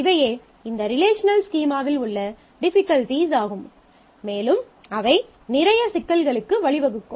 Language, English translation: Tamil, So, these are difficulties in these relational schemas and that lead to a whole lot of problems